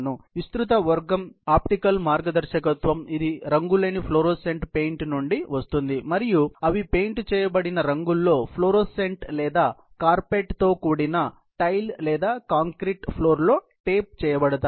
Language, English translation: Telugu, The other broad category is the optical guidance, which comes from a colourless fluorescent paint, and they are particles which are painted, fluorescent in color or even taped on to the carpeted tile or concrete floor